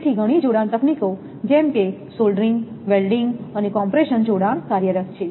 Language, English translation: Gujarati, So, some several jointing techniques such as soldering, welding and compression jointing are employed